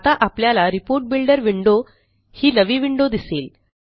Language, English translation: Marathi, We now see a new window which is called the Report Builder window